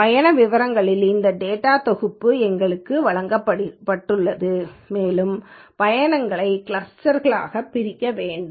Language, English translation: Tamil, So, we have been given this data set of trip details and we have to segregate these trips into clusters